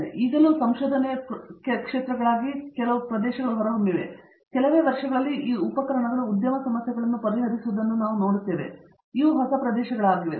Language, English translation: Kannada, I will say these are still emerging research areas, but my vision is that in a few years we will actually see these tools solving industry problems, so these are the newer areas